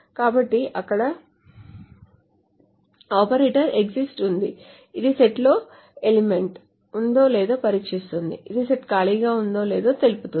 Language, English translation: Telugu, So there is an operator called exists which tests whether the set, whether there is an element in the set which is essentially saying whether the set is empty or not